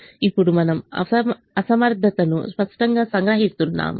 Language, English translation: Telugu, now we are explicitly capturing the infeasibility